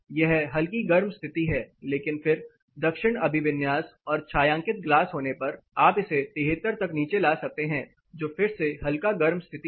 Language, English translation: Hindi, This is straightly warm condition, but then getting here with a south orientation and the glass area shaded you can bring it down to 73 which is again slightly warm